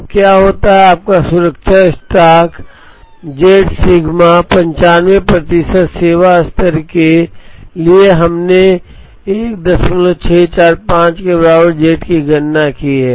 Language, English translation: Hindi, Now, what happens is your safety stock should be z sigma now for a 95 percent service level we have calculated z equal to 1